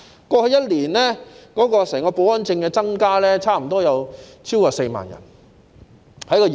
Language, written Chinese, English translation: Cantonese, 過去1年，業內的保安人員許可證數目增加超過4萬。, In the past year the number of Security Personnel Permits in the industry has increased by more than 40 000